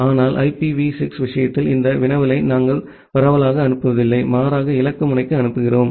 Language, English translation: Tamil, But in case of IPv6, we do not broad cast this query, rather we send to a targeted node